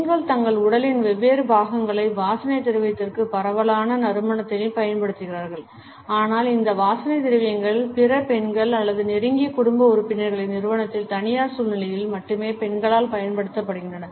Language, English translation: Tamil, Women use a wide range of scents to perfume different parts of their bodies, but these perfumes are used by women only in private situations in the company of other women or close family members